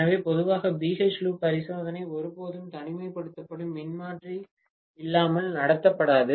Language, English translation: Tamil, So, normally BH loop experiment will never be conducted without an isolation transformer